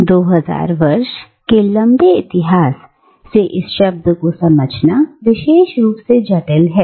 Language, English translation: Hindi, And, this 2000 year long history makes the understanding of this word particularly complex